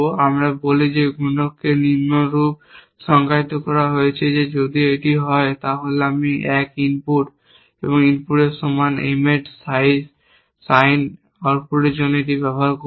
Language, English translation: Bengali, We say that multiplier is defined as follows that if it is, then I will use this for implications sine output of M equal to input 1 into 2